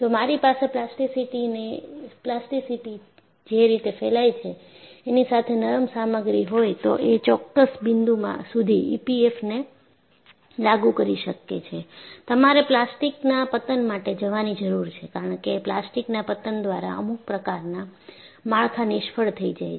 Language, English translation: Gujarati, So, if I have a ductile material with spread of plasticity, until a certain point you can apply E P F M, beyond a point you need to go for plastic collapse; because certain structures can fail by plastic collapse